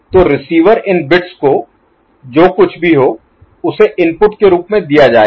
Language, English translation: Hindi, So, receiver end now these bits, whatever is there will be given as input